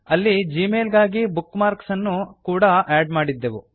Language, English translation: Kannada, We had also added a bookmark for gmail there